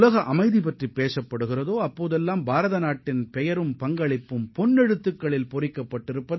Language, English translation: Tamil, Wherever there will be a talk of world peace, India's name and contribution will be written in golden letters